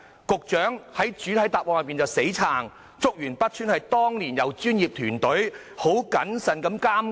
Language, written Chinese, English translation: Cantonese, 局長還在主體答覆中"死撐"，說竹園北邨由專業工程團隊很謹慎地監工。, The Secretary has adopted a very defensive attitude in his main reply and said that the works were carefully supervised by a professional project team